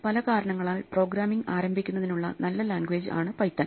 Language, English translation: Malayalam, Well, Python is a very good language to start programming for many reasons